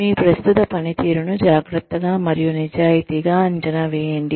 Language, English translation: Telugu, Carefully and honestly, assess your current performance